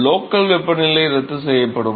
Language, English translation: Tamil, So, the local temperature term will cancel out